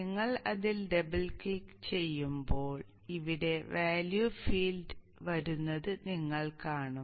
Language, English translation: Malayalam, When you double click on that you will see that coming up here in the value field